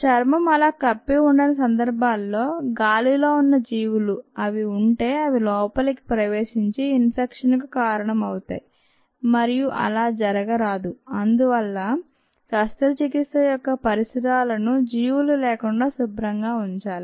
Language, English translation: Telugu, when the skin is compromised, the organisms that are present in the air, if they are present, can enter and cause infection, and that should not happen and therefore the surroundings of the surgery must be kept clean of organisms